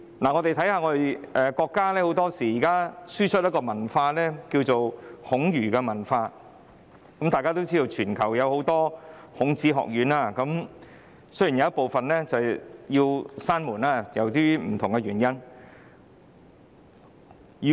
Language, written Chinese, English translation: Cantonese, 中國現時經常輸出孔儒文化，眾所周知，全球有很多孔子學院，即使有部分由於不同原因已關閉。, At present China often exports Confucian culture and as we all know there are many Confucius Institutes in the world but some of them have been closed for different reasons